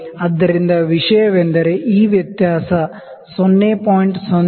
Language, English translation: Kannada, So, the thing is that this difference 0